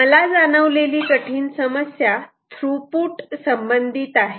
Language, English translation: Marathi, one hard problem that occurs to me is related to throughput